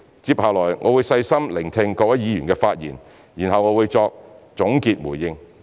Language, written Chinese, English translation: Cantonese, 接下來我會細心聆聽各位議員的發言，然後我會再作總結回應。, I will continue to listen carefully to speeches to be delivered by Members before I make my concluding remarks